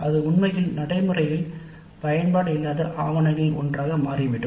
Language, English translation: Tamil, It would become simply one of documentation with really no practical use